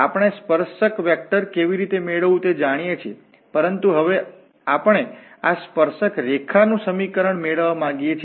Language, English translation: Gujarati, We know how to get the tangent vector, but now we want to get the equation of this tangent line